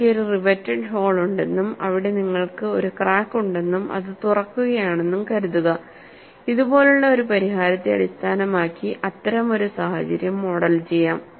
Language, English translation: Malayalam, Suppose I have a riveted hole, and you have a crack form and it is getting opened, that kind of a situation could be modeled, based on a solution like this